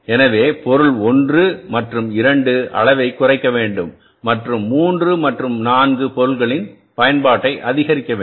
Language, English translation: Tamil, So it may be possible that material one and two have to be reduced in the quantity and the use of the material 3 and 4 has to be increased